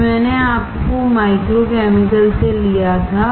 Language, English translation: Hindi, This I had taken from micro chemicals